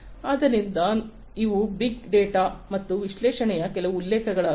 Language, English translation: Kannada, So, these are some of the references on big data and analytics